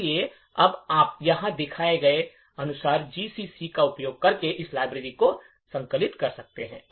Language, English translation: Hindi, So, now you can compile this library by using GCC as shown over here